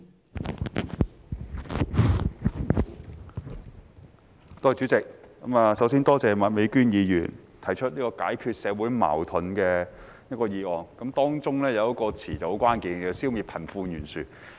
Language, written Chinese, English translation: Cantonese, 代理主席，首先多謝麥美娟議員提出"解決社會矛盾"的議案，當中有一個詞語很關鍵，是"消滅貧富懸殊"。, Deputy President first of all I would like to thank Ms Alice MAK for moving the motion on resolving social conflicts in which a key phrase is eliminating disparity between the rich and the poor